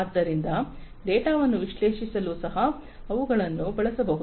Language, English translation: Kannada, So, those are those could also be used to analyze the data